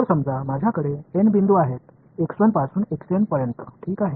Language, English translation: Marathi, So, let us say I have n points x 1 through x n right